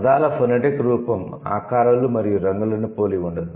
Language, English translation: Telugu, The phonetic form cannot possibly resemble the shapes and colors